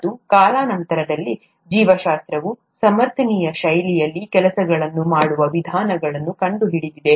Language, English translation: Kannada, And, over time, biology has found methods to do things in a sustainable fashion